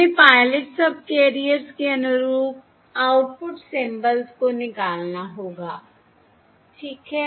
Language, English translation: Hindi, Now extract the symbols corresponding to the pilot subcarriers